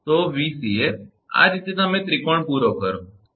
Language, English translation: Gujarati, So, Vca so, this way first you complete the triangle, right